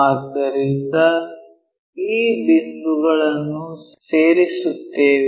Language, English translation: Kannada, So, let us join this point